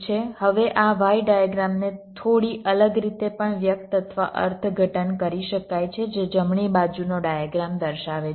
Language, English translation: Gujarati, now this y diagram can also be expressed or interpreted in a slightly different way, as the diagram on the right shows